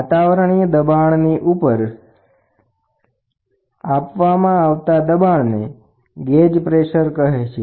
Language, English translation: Gujarati, Gauge pressure is measured above the local atmospheric pressure that is gauge pressure